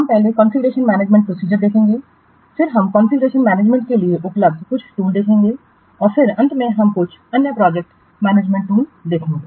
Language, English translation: Hindi, We will see first the configuration management process, then we will see some of the tools available for configuration management and then our class will see some other project management tools